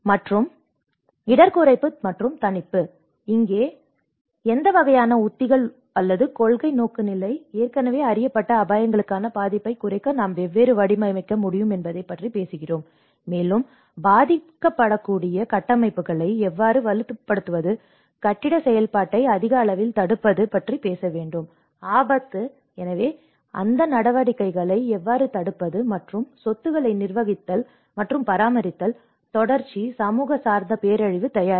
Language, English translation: Tamil, And risk reduction and mitigation: Here, we talk about what kind of strategies or the policy orientation, how we can frame to reduce the vulnerability to already known risks, and we have to talk about how to strengthen vulnerable structures, prevent building activity in high risk, so how we can prevent those activities and managing and maintaining assets, continuity, also community based disaster preparedness